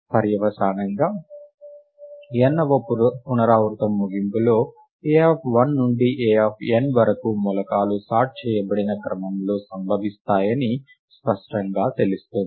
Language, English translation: Telugu, Consequently at the end of the nth iteration its clear that the elements a of 1 to a of n occur in sorted order right